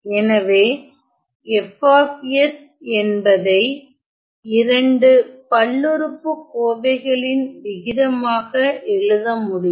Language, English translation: Tamil, So, I can write F of s as the ratio of two polynomials